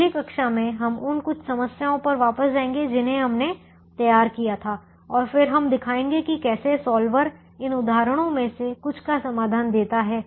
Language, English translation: Hindi, in the next class we will go back to some of the problems that we formulated and then we show how the solver gives the solution to few of these examples